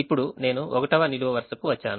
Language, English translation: Telugu, now i come to the first column